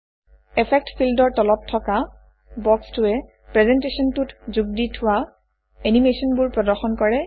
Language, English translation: Assamese, The box at the bottom of the Effect field displays the animations that have been added to the presentation